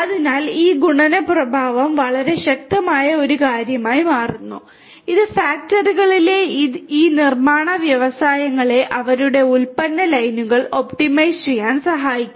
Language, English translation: Malayalam, So, this multiplicative effect becomes a very powerful thing which can help these manufacturing industries in the factories to optimize their product lines